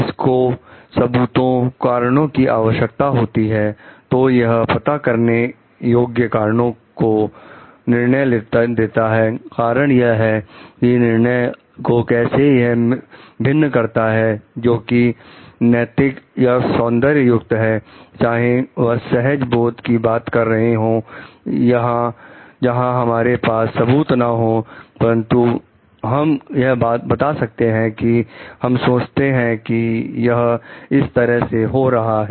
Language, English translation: Hindi, So, it requires evidence, reasons, so judgments with identifiable evidence reasons is what it distinguishes judgment, which is ethical or aesthetic whatever it is from like talking on intuition where we may not have evidence, but we will tell like we think like this is happening in this way